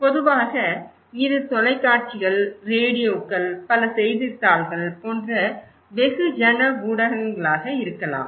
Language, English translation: Tamil, They could be mass media like TV, newspapers, radios or could be some public institutions